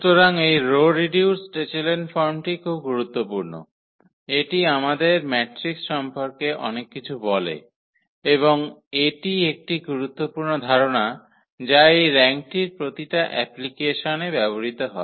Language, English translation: Bengali, So, this that is that is what this row reduced echelon form is very important, it tells us lot about the matrix and that is one important concept which is used at very applications about this rank